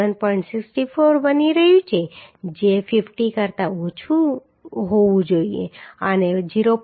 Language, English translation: Gujarati, 64 which is less than 50 and 0